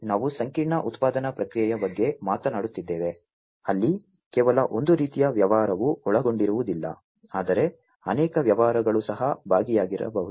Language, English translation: Kannada, We are talking about the complex production process, where not just one kind of business will be involved, but multiple businesses might be involved as well